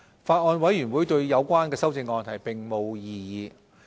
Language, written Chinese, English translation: Cantonese, 法案委員會對有關修正案並無異議。, The Bills Committee had no objection to the amendments